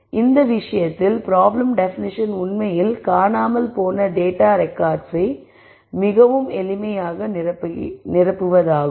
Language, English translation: Tamil, So, in this case the problem definition is actually fill in missing data records very simple